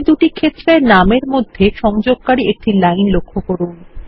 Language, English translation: Bengali, Notice a line connecting these two field names